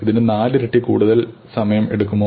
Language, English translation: Malayalam, Does it takes four times more time